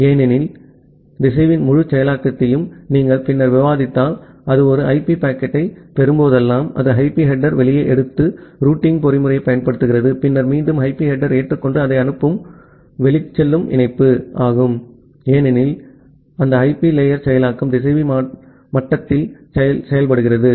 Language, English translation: Tamil, Because, in the router if you later on will discuss the entire processing of the routers you will see that whenever it receives an IP packet, it takes the IP header out, applies the routing mechanism then again adopt the IP header and send it to the outgoing link, because that IP layer processing is done at the router level